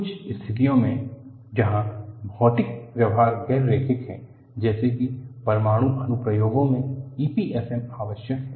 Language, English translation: Hindi, For situations, where material behavior is non linear such as in nuclear applications, E P F M is essential